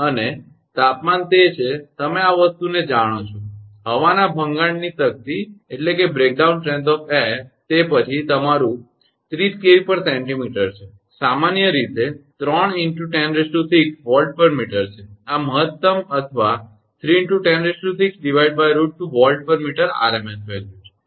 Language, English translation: Gujarati, And temperature it is you know this thing, the breakdown strength of air, it is then is your 30 kV per centimetre, in general it is 3 into 10 to the power 6 volt per meter, this is the maximum or 3 into 10 to the power 6 upon root 2 volt per meter rms value